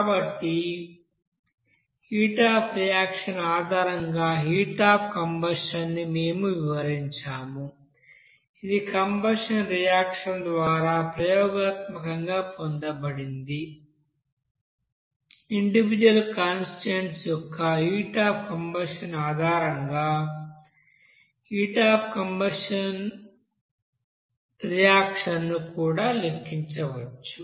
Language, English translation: Telugu, So we have described the heat of combustion based on the heat of reaction that is experimentally obtained by you know by combustion reaction and also heat of combustion reaction can be you know calculated based on that heat of you know combustion of individual constituents